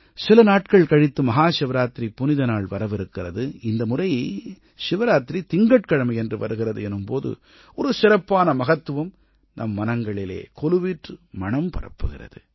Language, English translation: Tamil, In a few days from now, Mahashivrartri will be celebrated, and that too on a Monday, and when a Shivratri falls on a Monday, it becomes all that special in our heart of our hearts